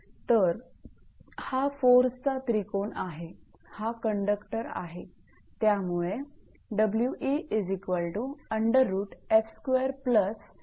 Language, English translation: Marathi, So, this is force triangle, this is the conductor actually right